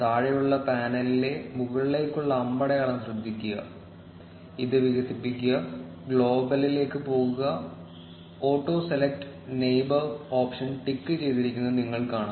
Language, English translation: Malayalam, Notice the up arrow on the bottom panel, expand it, go to global, and you will see that the auto select neighbor option is ticked